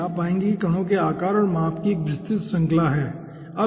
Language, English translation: Hindi, you will be finding out particles are having a wide range of shapes and sizes